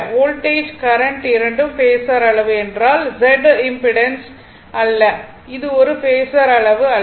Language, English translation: Tamil, If voltage and current both are phasor quantity, but Z is not a impedance, it is not a phasor quantity right